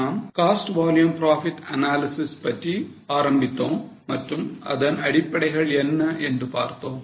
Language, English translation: Tamil, We started with how to go about cost volume profit analysis or what are the fundamentals